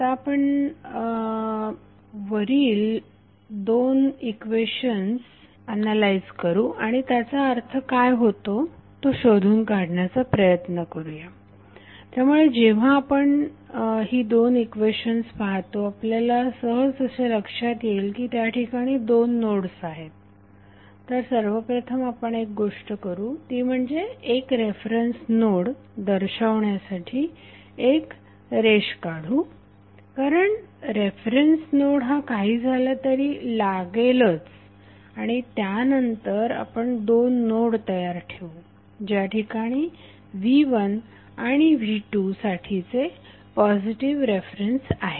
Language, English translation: Marathi, We will first analyze these two equations and try to find out what does it mean, so when we see this two equations we come to know that there are two nodes, so what we will do first we will draw a line to represent the reference node because the reference node is anyway required and then we stabilize two nodes at which the positive reference for v1 and v2 are located